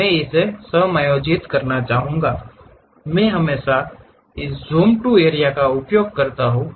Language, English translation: Hindi, I would like to adjust this; I can always use this Zoom to Area